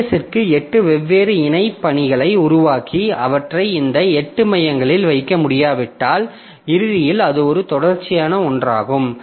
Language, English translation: Tamil, So, if I am not able to do that, so if my OS cannot create eight different parallel tasks and put them on to this eight course, then ultimately it becomes a sequential one